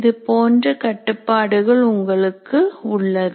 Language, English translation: Tamil, These are that many constraints that you have